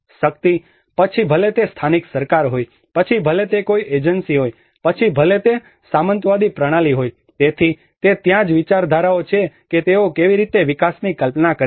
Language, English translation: Gujarati, Power; whether it is a local government, whether it is an agency, whether it is a feudal system, so that is where the ideologies how they frame how they conceive the development